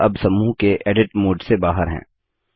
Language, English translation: Hindi, We are now out of the Edit mode for the group